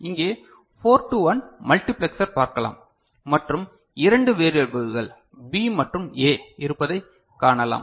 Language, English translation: Tamil, So, here you can see there is a 4 to 1 multiplexer right and there are two variables B and A